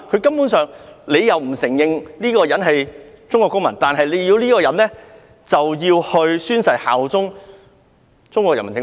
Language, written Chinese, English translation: Cantonese, 中國不承認他們是中國公民，但卻要求他們宣誓效忠中央人民政府？, While China does not recognize them as Chinese citizens they are required to bear allegiance to the Central Peoples Government